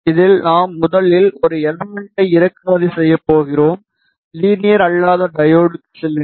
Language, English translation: Tamil, In this we are going to import first an element, go to non linear diode